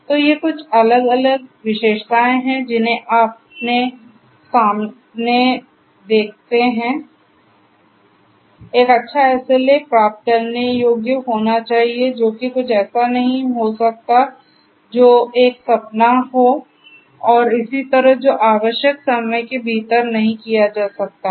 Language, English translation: Hindi, So, these are some of the different characteristics that you see in front of you, a good SLA should be achievable something that can be achieved not something that is a dream and so on which cannot be done in within the required span of time and so on